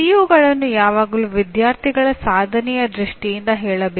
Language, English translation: Kannada, So CO always should be stated in terms of student performance